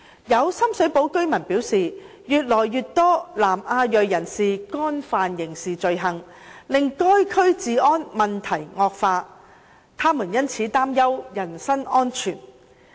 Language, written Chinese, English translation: Cantonese, 有深水埗居民表示，越來越多由南亞裔人士干犯的刑事罪行，令該區治安問題惡化，他們因此擔憂人身安全。, Some residents of the SSP District have expressed worries about their personal safety due to the increasing number of criminal offences committed by people of South Asian descent which has rendered the law and order situation in the SSP District deteriorating